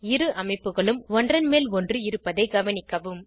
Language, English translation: Tamil, Observe that two structures overlap each other